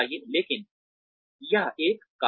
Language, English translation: Hindi, But, that is one reason